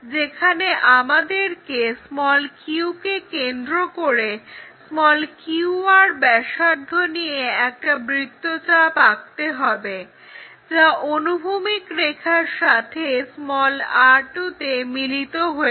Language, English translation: Bengali, Now, we will move on to seventh point; where we have to draw an arc with center q and radius q r that is from q r radius to meet horizontal line at r2